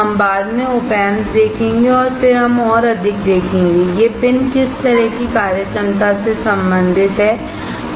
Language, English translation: Hindi, We will see operational amplifier later and then we will see more; how these pins are related to what kind of functionality finally